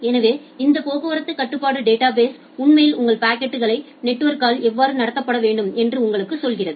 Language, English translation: Tamil, So, this traffic control database actually tells you that how your packets need to be treated by the network